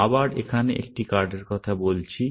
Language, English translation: Bengali, Again, we are talking about a card here